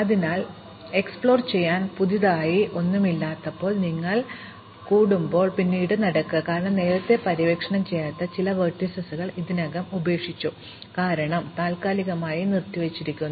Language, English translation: Malayalam, So, when you get stuck when there is nothing new to explore you walk back, because you have already left some vertices earlier unexplored, because you suspended